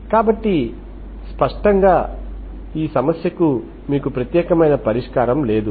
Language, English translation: Telugu, So clearly you do not have unique solution for this problem